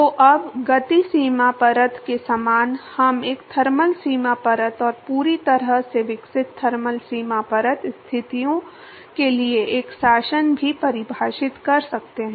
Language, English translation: Hindi, So, now, similar to momentum boundary layer we can define a thermal boundary layer and also a regime for fully developed thermal boundary layer conditions